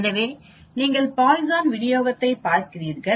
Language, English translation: Tamil, We can again use your Poisson distribution